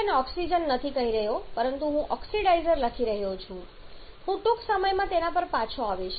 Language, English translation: Gujarati, I am not calling it oxygen rather I am writing oxidizer I shall be coming back to that very soon